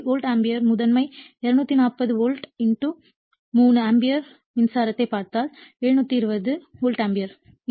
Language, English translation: Tamil, So, if you see the volt ampere primary sidE240 volt * 3 ampere current so, 720 volt ampere right